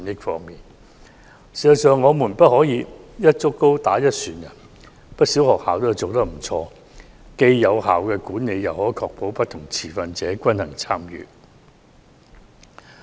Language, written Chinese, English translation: Cantonese, 事實上，我們不能"一竹篙打一船人"，不少學校做得不錯，既有效管理又可確保不同持份者均衡參與。, In fact we cannot knock all down at one stroke and quite a number of schools are effectively managed and can ensure balanced participation by different stakeholders